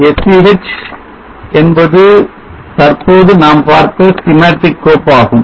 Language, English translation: Tamil, SCH is the schematic file which we just now saw series